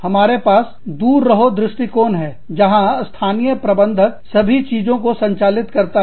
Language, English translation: Hindi, We have the hands off approach, where the local managers, handle everything